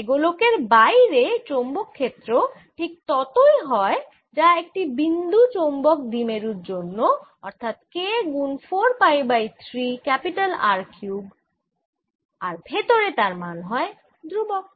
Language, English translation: Bengali, so outside the magnetic field, outside this sphere is like that produced by a point magnetic dipole with magnitude k four pi by three r cubed, and inside it's a constant field